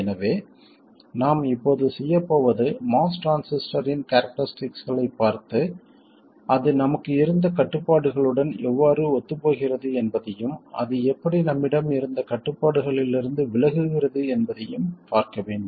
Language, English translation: Tamil, So what we are going to do now is to look at the characteristics of the most transistor and see how it conforms to the constraints we had and also how it deviates from the constraints we had